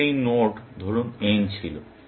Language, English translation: Bengali, Let us have picked this node n